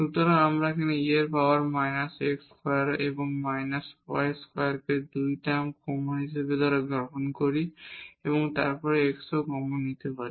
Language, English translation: Bengali, So, if we take this e power minus x square and minus y square by 2 term common and also we can take this x common